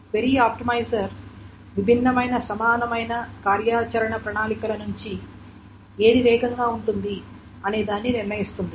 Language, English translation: Telugu, The query optimizer will decide out of the different equivalent action plans which one is going to be faster